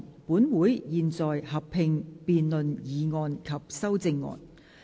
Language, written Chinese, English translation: Cantonese, 本會現在合併辯論議案及修正案。, This Council will conduct a joint debate on the motion and the amendments